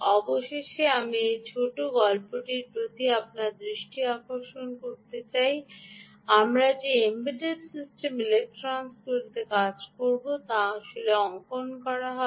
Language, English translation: Bengali, finally, i want to draw your attention to this ah little story that ah many of the embedded systems, electronics that we will be working on will actual, will actually be drawing